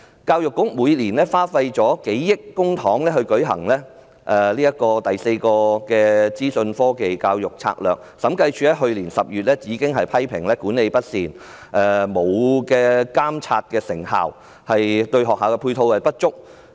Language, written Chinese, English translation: Cantonese, 教育局每年花費數億元公帑來推行"第四個資訊科技教育策略"，審計署上年10月批評該策略管理不善、沒有監察成效、對學校配套不足。, Can these measures solve the problems? . The Education Bureau spends hundreds of millions of public money on implementing the Fourth Strategy on Information Technology in Education . In October last year the Audit Commission criticized the Strategy as poorly managed ineffectively regulated and not providing adequate support to schools